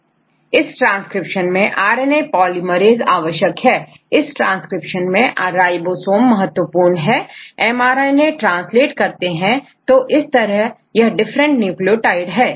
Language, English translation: Hindi, But in a transcription mainly the they RNA polymerize does this transcription right now the ribosomes are responsible to convert this translate the mRNA to proteins right